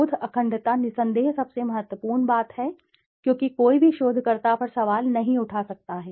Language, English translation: Hindi, Research integrity is undoubtedly the most important thing because nobody can question a researcher